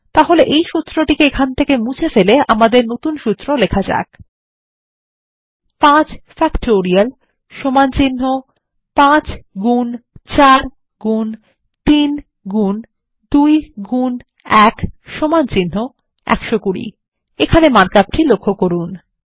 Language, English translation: Bengali, So let us overwrite the existing formula with ours: 5 Factorial = 5 into 4 into 3 into 2 into 1 = 120